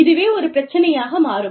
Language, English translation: Tamil, So, that becomes an issue